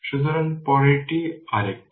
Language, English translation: Bengali, So, next one is another one is that